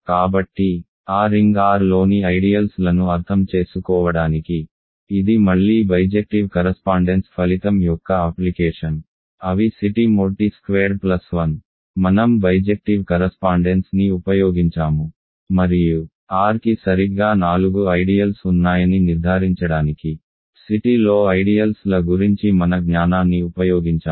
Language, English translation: Telugu, So, this is again an application of bijective correspondence result, in order to understand ideals in that ring R; namely C t mod t squared plus 1 we have used bijective correspondence and then our knowledge about ideals in C t to conclude that R has exactly four ideals